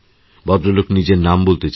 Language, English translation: Bengali, The gentleman does not wish to reveal his name